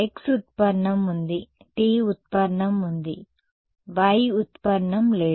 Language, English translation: Telugu, So, there is a x derivative, there is a t derivative, there is no y derivative correct